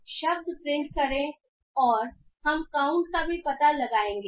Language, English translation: Hindi, So, print word and we will also find Okay, so